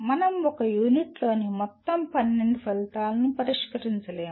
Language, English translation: Telugu, We will not be able to address all the 12 outcomes in one unit